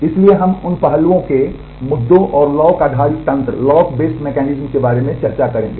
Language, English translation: Hindi, So, we will discuss about those aspects issues and the lock based mechanisms